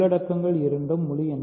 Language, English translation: Tamil, So, the contents are both integers